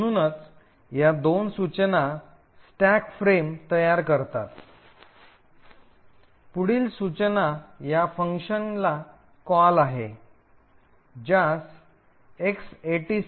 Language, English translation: Marathi, So, essentially these two instructions create the stack frame, the next instruction is a call to this function call X86